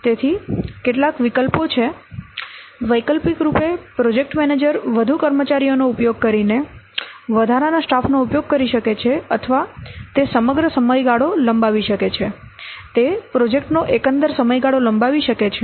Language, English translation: Gujarati, The alternatively project manager can consider using more manpower using additional stuff or he may lengthen the overall duration, he may extend the overall duration of the project